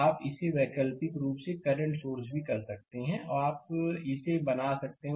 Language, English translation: Hindi, Similarly, you can do it alternatively current source also you can make it